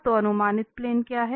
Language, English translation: Hindi, So, what is the projected plane